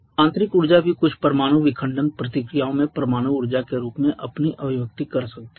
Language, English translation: Hindi, Internal energy can also have its manifestation in the form of nuclear energy in certain nuclear fission reactions